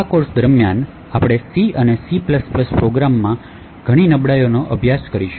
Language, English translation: Gujarati, During this course we will be studying a lot of vulnerabilities in C and C++ programs